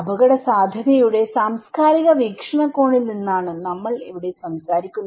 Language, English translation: Malayalam, Here, we are talking from the cultural perspective of risk